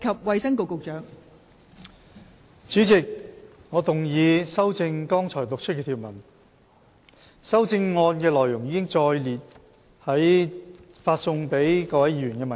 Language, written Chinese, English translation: Cantonese, 代理主席，我動議修正剛讀出的條文。修正案的內容載列於已發送給各位議員的文件中。, Deputy Chairman I move the amendments to the clauses read out just now as set out in the paper circularized to Members